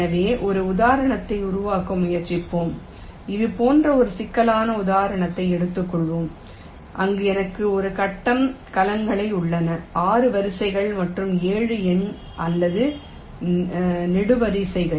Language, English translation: Tamil, lets take a problem instance like this, where i have a set of grid cells six number of rows and seven number or columns